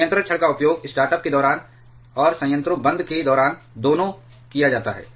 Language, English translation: Hindi, So, the control rods are used both during the startup and during reactor shutdown